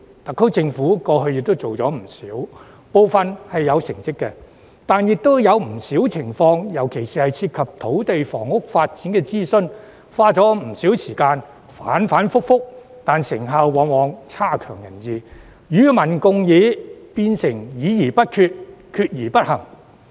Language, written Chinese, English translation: Cantonese, 特區政府過去做過不少，部分亦有成效，但也有不少情況，尤其是涉及土地、房屋發展的諮詢，花了不少時間，反反覆覆，但成效往往有欠理想，與民共議變成議而不決、決而不行。, The SAR Government has conducted a lot of consultation exercises in the past . While some of them have proved to be effective in some cases particularly consultations on land and housing development the processes were repetitive and time - consuming but the results were unsatisfactory . Public discussions eventually became discussions without decision and decision without action